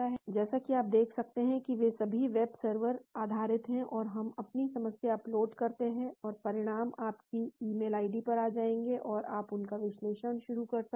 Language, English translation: Hindi, As you can see they are all web server based, so we upload our problem and the results will come to your email id and you can start analysing them